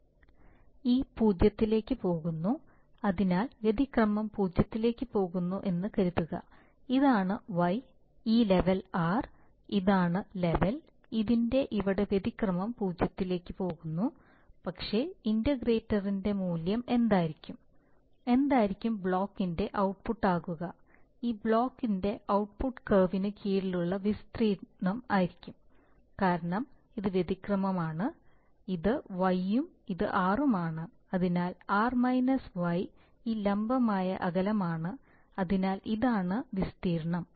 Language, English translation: Malayalam, e goes to 0, so for example suppose the error goes to 0 this is, this is y, this level is r, this is the level so here error is going to 0, but what will be the value of the integral, what will be the output of this block, the output of this block is going to be the area under the curve because this is the error, this is y and this is r, so r – y is this vertical distance, so this is the area, right